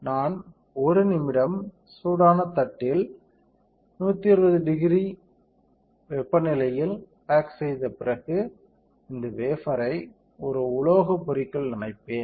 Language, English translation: Tamil, So, after I perform hard bake at 120 degree centigrade on hot plate for 1 minute, I will dip this wafer in a metal etchant